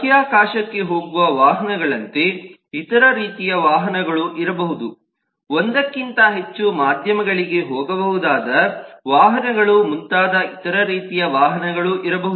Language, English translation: Kannada, there could be other kinds of vehicles also, like vehicles going for space, vehicles which can go over more than one medium and so on